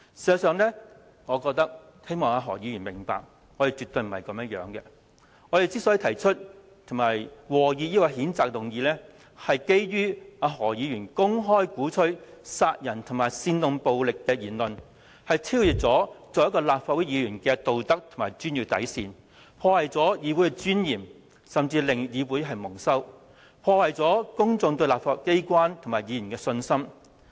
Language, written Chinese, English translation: Cantonese, 事實上，我希望何議員明白，我們絕非如此，我們提出及和議譴責議案的原因，是基於何議員公開鼓吹殺人和煽動暴力的言論，已超越他作為立法會議員的道德和專業底線，破壞議會尊嚴，甚至令議會蒙羞，破壞公眾對立法機關和議員的信心。, Actually I just hope that Dr HO will understand that this is by no means the case . The reason for our proposing and seconding the censure motion lies in the fact that Dr HOs public remarks advocating killing and inciting violence has contravened the moral code and code of professional conduct of Members of this Council . As a result the legislatures dignity is damaged while the Council itself may even have to suffer humiliation thus undermining public confidence in the legislature and its Members